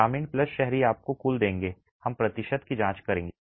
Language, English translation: Hindi, The rural plus urban will give you the total